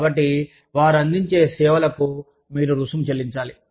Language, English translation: Telugu, So, for the services, that they provide, you pay a fee to them